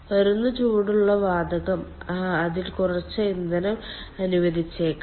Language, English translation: Malayalam, the gas, hot gas which is coming that might have ah, some amount of fuel, let in it